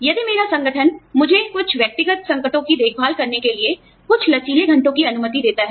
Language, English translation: Hindi, If my organization, allows me some flexible hours, to take care of some personal crisis